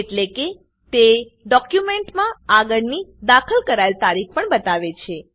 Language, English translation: Gujarati, This means, it also shows the next edited date of the document